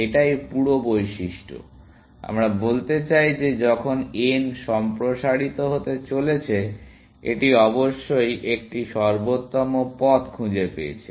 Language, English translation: Bengali, This whole property, we want to say that when is about to expand n, it must have found an optimal path to that, essentially